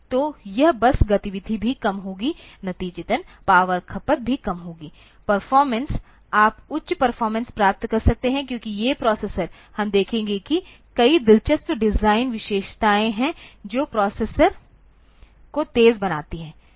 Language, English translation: Hindi, So, this bus activity will also be low as a result, power consumption will also be low performance you can get higher performance, because these processors, we will see that there are many interesting design features that makes the processor faster